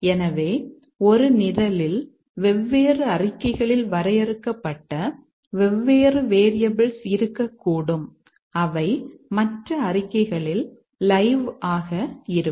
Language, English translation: Tamil, So, in a program we might have different variables defined at different statements and which are live at other statements